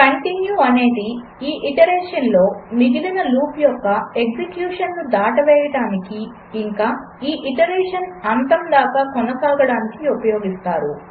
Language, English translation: Telugu, continue is used to skip execution of the rest of the loop on this iteration and continue to the end of this iteration